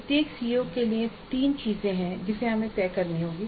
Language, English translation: Hindi, For each CO there are three things that we must decide